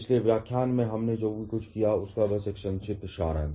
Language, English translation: Hindi, Just a brief summary of whatever we did in the previous lecture